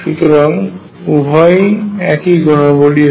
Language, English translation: Bengali, So, both are the same properties